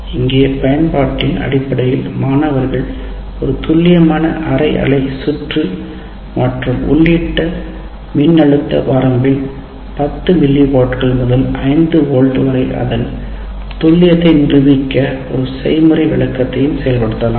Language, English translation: Tamil, Now here in terms of application, what we are asking students will simulate a precision half wave circuit and demonstrate its precision over the input voltage range of 10 mill volts to 5 volts volts